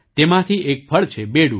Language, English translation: Gujarati, One of them is the fruit Bedu